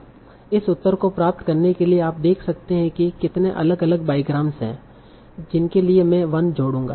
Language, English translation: Hindi, So to get this answer, you can see how many different bygrams will be there for which I will be adding 1